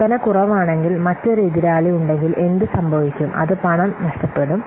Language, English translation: Malayalam, If the sales are low and another competitor is there, then what will happen